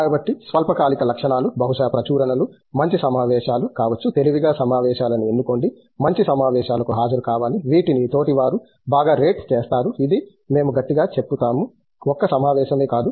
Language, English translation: Telugu, So, short term goals might be perhaps publications, good conferences; choose wisely choose conferences, attend good conferences which are rated well by the peers that is something which we strongly just not any conference